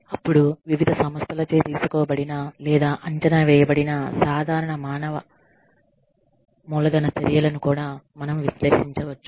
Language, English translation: Telugu, Then, we also can evaluate, the common human capital measures, taken by, or assessed by, various organizations